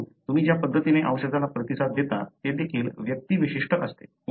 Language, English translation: Marathi, Therefore, the way you respond to a drug also is individual specific